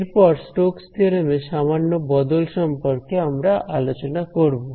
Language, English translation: Bengali, Now, moving on there is one small variation of the Stoke’s theorem which we will talk about